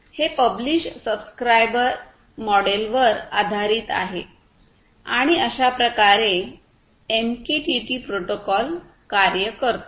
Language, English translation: Marathi, So, this is overall based on publish/subscribe model and this is how this MQTT protocol essentially works